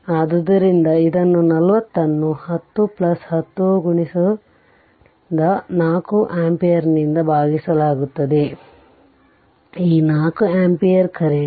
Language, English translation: Kannada, So, it will be 40 divided by 10 plus 40 into this 4 ampere; this 4 ampere current right